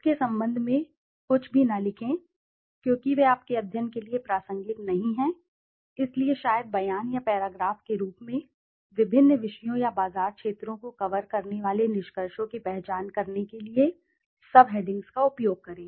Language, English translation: Hindi, Do not write anything regarding that because they are not relevant to your study, so maybe in the form of statement or paragraphs, use subheadings to identify conclusions covering different subjects or market segments